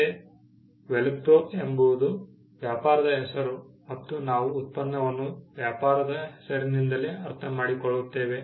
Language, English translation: Kannada, Velcro again a trade name and we understand the product by the trade name itself